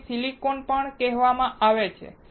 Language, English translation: Gujarati, this is also called silicone